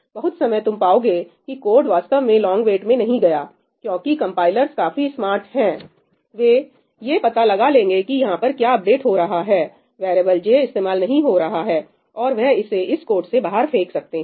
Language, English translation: Hindi, A lot of times you will find that the code actually does not get into a long wait because compilers are smart enough, they will figure out that whatever is being updated over here variable j is not getting used and they might throw away this code